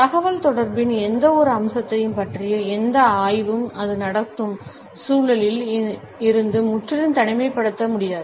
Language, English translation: Tamil, No study of any aspect of communication can be absolutely isolated from the context in which it is taking place